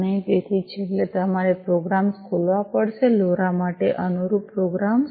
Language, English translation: Gujarati, And so finally, you will have to open the programs, the corresponding programs for the LoRa